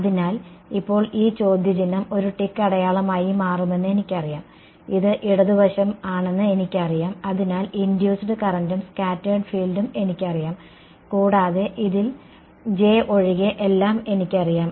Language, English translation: Malayalam, So, now I know this question mark becomes a tick mark, I know this the left hand side I know the induced current and the scattered field therefore, and I know everything in this except J